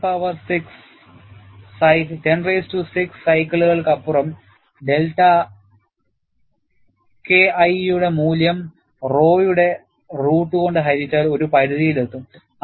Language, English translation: Malayalam, Beyond 10 power 6 cycles, the value of delta K 1 divided by root of rho reaches a threshold; that is what you see here